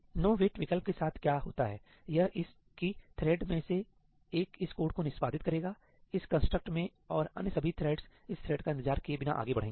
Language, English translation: Hindi, With this nowait option what happens is that one of the threads will execute this code, in this construct, and all the other threads will proceed ahead without waiting for this thread